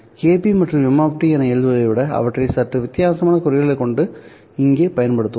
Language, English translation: Tamil, Rather than writing KP m of t, we will use a slightly different notation here